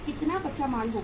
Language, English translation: Hindi, Raw material is how much